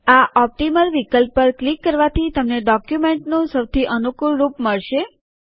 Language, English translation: Gujarati, On clicking the Optimal option you get the most favorable view of the document